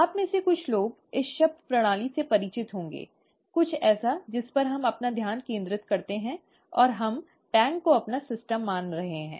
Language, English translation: Hindi, Some of you would be familiar with this term system, something on which we focus our attention, and we, we are considering the the tank as our system